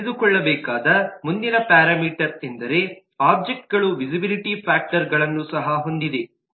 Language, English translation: Kannada, the next parameter that we need to know is that the objects also has visibility factors